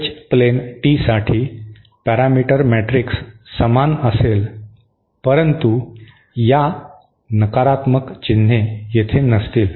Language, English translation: Marathi, As parameter matrix for an H plane tee will be similar except that these negative signs will not be here